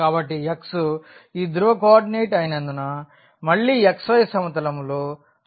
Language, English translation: Telugu, So, x the relation again since it is the polar coordinate in this xy plane